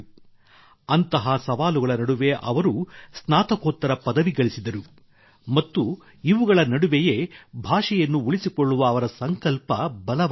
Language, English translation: Kannada, Amidst such challenges, he obtained a Masters degree and it was only then that his resolve to preserve his language became stronger